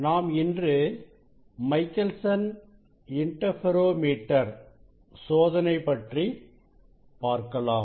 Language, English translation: Tamil, we will demonstrate now the Michelson Interferometer Experiment